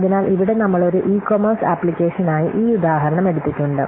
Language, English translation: Malayalam, So here we have taken this example for an e commerce application